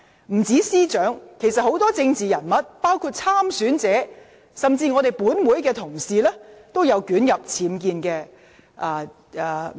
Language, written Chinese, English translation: Cantonese, 不單司長，其實多位政治人物，包括有意參選者及本會議員在內，也曾捲入僭建風波。, Apart from the Secretary for Justice a number of politicians including those who are running for election and Members of the Council have also been entangled in the UBWs controversy